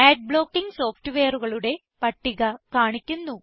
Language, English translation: Malayalam, A list of Ad blocking software is displayed